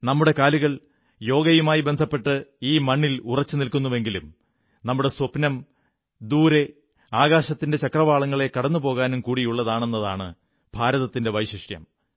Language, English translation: Malayalam, And this is the unique attribute of India, that whereas we have our feet firmly on the ground with Yoga, we have our dreams to soar beyond horizons to far away skies